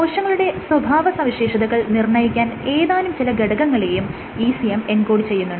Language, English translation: Malayalam, And ECM encodes for various physical features that regulate cell behavior